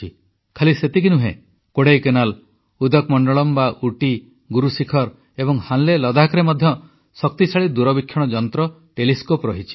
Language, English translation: Odia, Not just that, in Kodaikkaanal, Udagamandala, Guru Shikhar and Hanle Ladakh as well, powerful telescopes are located